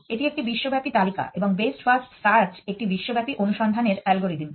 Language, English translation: Bengali, It is a global list and best first search is a global search algorithm